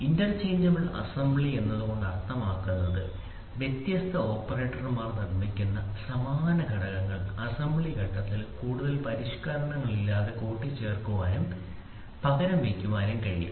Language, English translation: Malayalam, By interchangeable assembly we means that identical components manufactured by different operators can be assembled and replaced without any further modification during the assembly stage